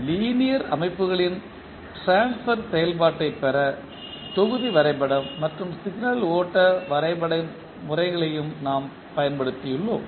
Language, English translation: Tamil, We have also used block diagram and signal flow graph methods to obtain the transfer function of linear systems